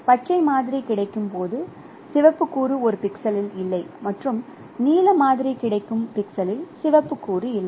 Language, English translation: Tamil, The red component is missing in a pixel where a green sample is available and red component is missing in a pixel where blue sample is available